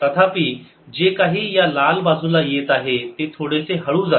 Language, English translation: Marathi, however, whatever comes on the red side, it goes little slow